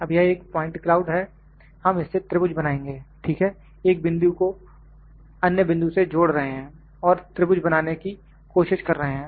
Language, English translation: Hindi, Now, this is a point cloud, will make triangle out of this, ok, joining a point with other point we are trying into make it triangles